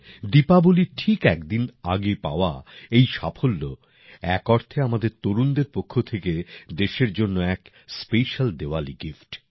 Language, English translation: Bengali, This success achieved just a day before Diwali, in a way, it is a special Diwali gift from our youth to the country